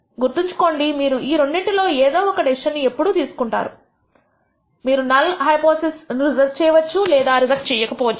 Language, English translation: Telugu, Remember the only one of two decisions you have always going to make, you are either going to reject the null hypothesis or you are not going to reject it